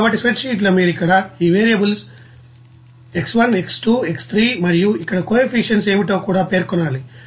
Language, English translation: Telugu, So, in a spreadsheet you have to mention all those you know variables like here these variables X1, X2, X3 and also what is that, that coefficients there